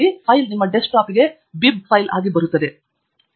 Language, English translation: Kannada, The file will come on to your desktop as a bib file